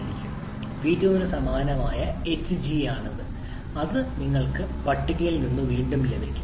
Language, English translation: Malayalam, So your h2 prime is actually hg corresponding to P2 which you can get again from the table